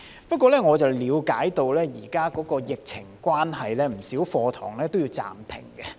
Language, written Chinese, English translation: Cantonese, 不過，我了解到現時由於疫情關係，不少課堂也要暫停。, However I understand that many courses are currently suspended due to the epidemic